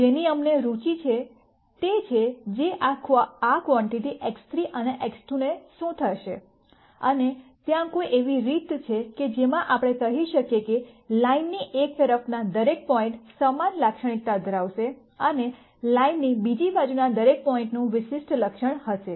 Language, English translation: Gujarati, What we are interested in, is what happens to this quantity for X 3 and X 2, and is there some way in which we can say that every point to one side of the line will have the same characteristic and every other point on the other side of the line will have a di erent characteristic